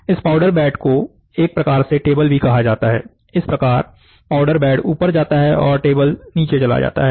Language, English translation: Hindi, So, this powder bed is otherwise called as a table, thus the powder bed moves up that table moves down